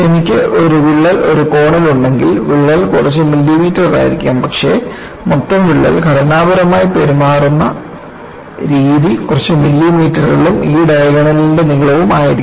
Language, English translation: Malayalam, If I have this on one of the corners, the crack may be a few millimeters, but that totalcrack, the way it will behave structurally would be few millimeters plus length of this diagonal